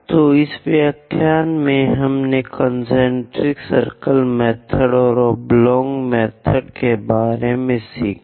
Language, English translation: Hindi, So, in this lecture, we have learned about concentric circle method and oblong method